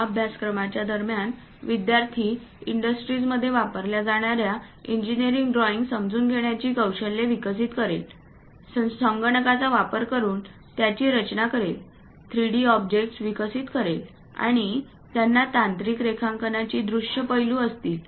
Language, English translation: Marathi, So, during this course, the student will develop skills on understanding of engineering drawings used in industries, how to design them using computers and develop 3D objects, having visual aspects of technical drawings, these are the objectives of our course